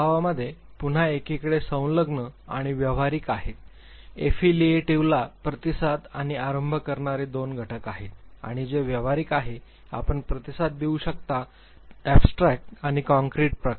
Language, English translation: Marathi, In temperament again you have affiliative and pragamatic on one hand Affiliative have two components responding and initiating, and same which pragmatic you could be responding and initiating type, Abstract and concrete type